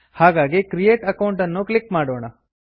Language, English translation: Kannada, So, lets click Create Account